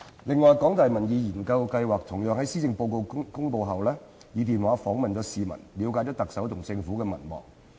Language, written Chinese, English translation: Cantonese, 此外，香港大學民意研究計劃同樣於施政報告公布後，以電話訪問市民，以了解特首及政府的民望。, In addition the Public Opinion Programme of The University of Hong Kong likewise conducted a telephone survey following the delivery of the Policy Address to ascertain the popularity ratings of the Chief Executive and the Government